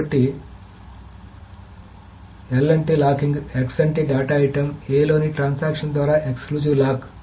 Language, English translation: Telugu, So L stands for locking, X means exclusive lock by transaction 1 on data item A